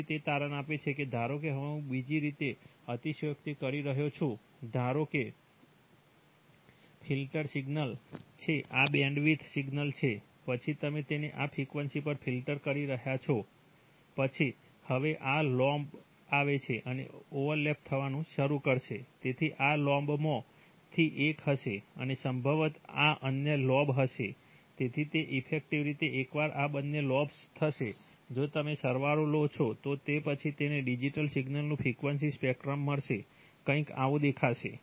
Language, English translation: Gujarati, Then it turns out that, suppose you, suppose apart from, suppose now I am just exaggerating the other way, suppose the filter is signal is the signal has this bandwidth then you are filtering it at this frequency then this these lobes will now come and start overlapping, so this will be one of the lobes and probably this will be the other lobe, so what will happen is that, effectively, once these two lobes, if you take summation then you are going to get a frequency spectrum of the digital signal, will look something like this